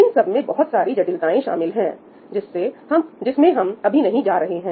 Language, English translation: Hindi, there are lots of intricacies involved which we are not going to get into